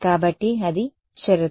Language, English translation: Telugu, So, that is the condition